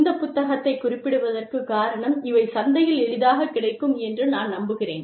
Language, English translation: Tamil, But, i have referred to these books, because, i believe, they are readily available in the market